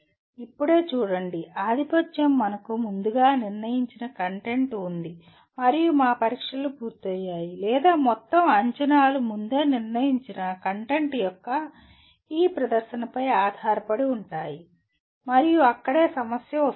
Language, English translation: Telugu, See right now dominantly we have the predetermined content and our tests are done, or entire assessments is based on this presentation of predetermined content and that is where the problem comes